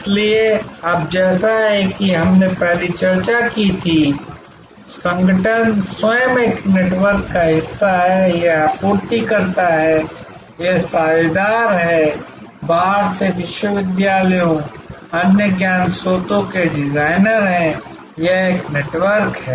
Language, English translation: Hindi, So, now as we discussed before, the organization the firm itself is part of a network, it is suppliers, it is partners, designers from outside, universities, other knowledge sources, this is one network